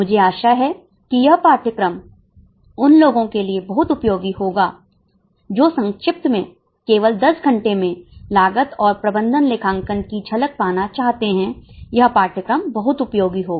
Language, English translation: Hindi, Those who in short in just 10 hours want to just get a glimpse of cost and management accounting, the course will be very much useful